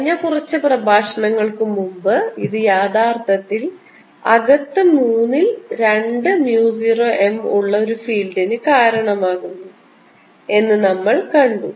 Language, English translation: Malayalam, and we have seen in the past few lectures ago that this actually gives rise to a field inside which is two thirds mu zero m